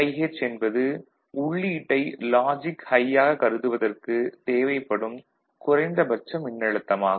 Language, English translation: Tamil, VIH is the minimum voltage at the input side which is considered as high, ok